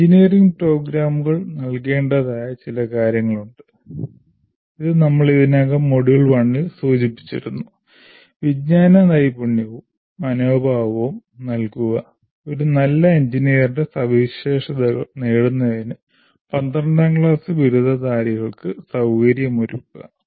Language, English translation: Malayalam, And engineering programs are required to impart, this we have mentioned already in module one, impart knowledge, skills and attitudes, and to facilitate the graduates of 12 standard to acquire the characteristics of a good engineer